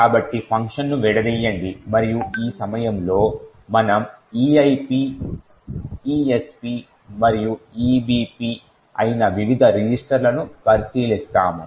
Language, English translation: Telugu, So, let us disassemble the function and at this point we would also, look at the various registers that is the EIP, ESP and the EBP